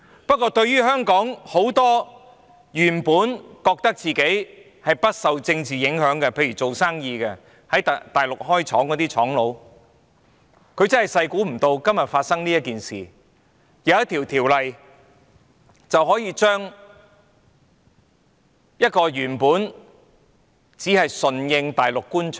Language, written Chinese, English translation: Cantonese, 不過，對於香港很多原本認為自己不受政治影響的人，例如做生意的人、在大陸設廠的商家，他們萬萬沒想到今天會發生這件事，而他們可能會受到一項法例所影響。, However in regard to many Hong Kong people who always think that they will not be politically affected such as businessmen and manufacturers with factories on the Mainland they do not expect to see this incident today and that they may be affected by a law